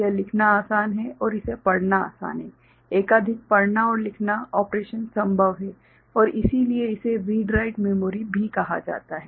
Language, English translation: Hindi, It is easy to write and it easy to read, multiple read and write operation is possible and if that for which it is also called read write memory ok